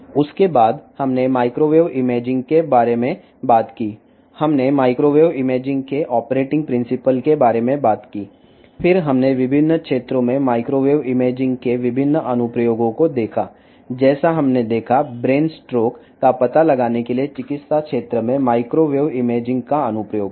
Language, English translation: Telugu, After, that we talked about the microwave imaging we talked about the principle of operation of microwave imaging; then we saw the various application of microwave imaging in various areas like we saw, the application of microwave imaging in medical field, for brain stroke detection